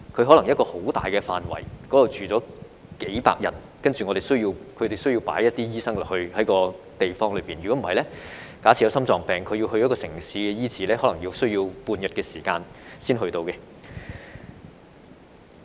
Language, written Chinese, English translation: Cantonese, 可能一個很大範圍的地方只居住了數百人，然後他們需要有一些醫生在那些地方，否則假設居民有心臟病要到城市醫治，可能需時半天才到達。, Although there may only be several hundreds of people living in a vast area the community needs doctors or else it may take a resident with a heart condition half a day to go to the city for treatment